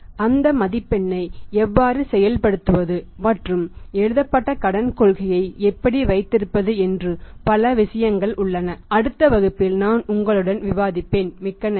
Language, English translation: Tamil, So, how to work out that score and how to move towards having a written credit policy all that has many other things also I will discuss with you in the next class, thank you very much